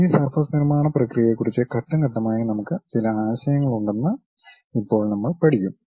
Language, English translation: Malayalam, So, now we will learn a we will have some idea about these surface construction procedure step by step